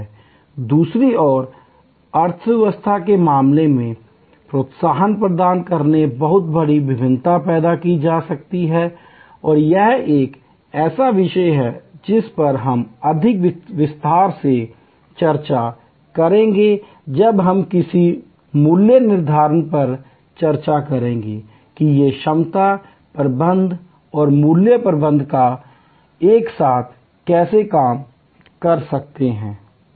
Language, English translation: Hindi, On the other hand, in case of the economy demand a huge variation can be created by providing incentives and this is a topic which we will discuss in greater detail when we discuss a pricing that how these capacity management and price management can work together